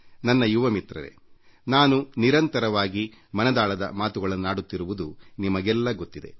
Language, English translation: Kannada, My young friends, you know very well that I regularly do my 'Mann Ki Baat'